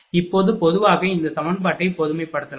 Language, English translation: Tamil, Now, in general this equation can be general I